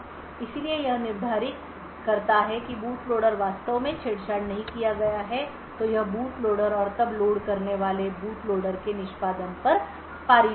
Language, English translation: Hindi, So, if it determines that the boot loader has is indeed not tampered then it would pass on execution to the boot loader and the boot loader with then execute